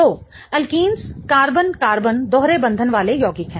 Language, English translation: Hindi, So, alkenes are the compounds with carbon carbon double bonds